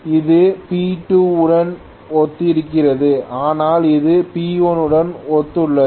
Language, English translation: Tamil, So this is corresponding to P2 whereas this corresponds to P1